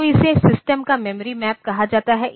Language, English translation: Hindi, So, this is called the memory map of the system